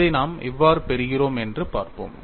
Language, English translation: Tamil, Let us see, how we get this